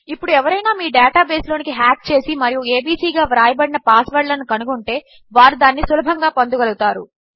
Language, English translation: Telugu, Now if you say someone hacked into your database and finds out peoples passwords which is typed in as abc, they will be able to get it easily